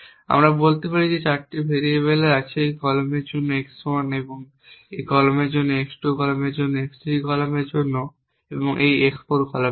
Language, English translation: Bengali, We can say that there are 4 variables let say x 1 one for this column x 2 for this column x 3 for this column x 4 for this column